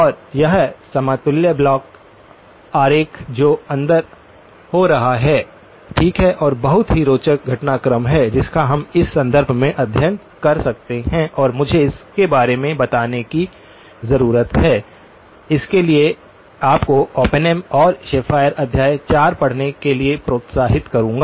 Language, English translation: Hindi, And this equivalent block diagram that is happening inside, okay and a very, very interesting sequence of developments that we can study in this context and let me just sort of give you a flavour for it definitely will encourage you to read Oppenheim and Schafer chapter 4 some very interesting applications are present